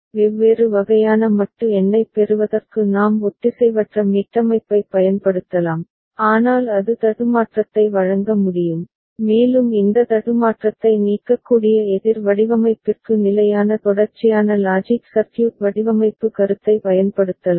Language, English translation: Tamil, And to get different kind of modulo number we can use asynchronous reset, but that can offer glitch and we can have standard sequential logic circuit design concept applied for counter design where this glitch can be removed ok